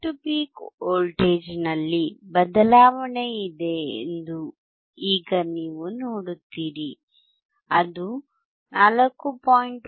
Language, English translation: Kannada, Now you see there is a change in the peak to peak voltage it is 4